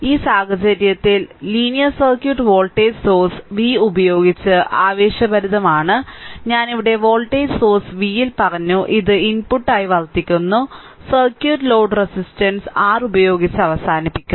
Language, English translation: Malayalam, So, in this case the linear circuit is excited by voltage source v, I told you here in voltage source v which serves as the input and the circuit is a terminated by load resistance R